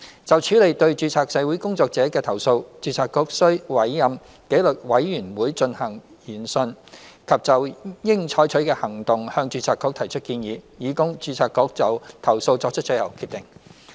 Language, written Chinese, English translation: Cantonese, 就處理對註冊社會工作者的投訴，註冊局須委任紀律委員會進行研訊及就應採取的行動向註冊局提出建議，以供註冊局就投訴作出最後決定。, For the handling of complaints against registered social workers the Board shall appoint disciplinary committees to conduct hearings and recommend actions to be taken to the Board which will make the final decision in respect of the complaint